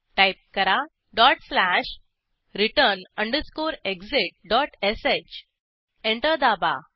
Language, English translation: Marathi, Type dot slash return underscore exit dot sh Press Enter